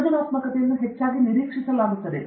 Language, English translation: Kannada, Creativity is often neglected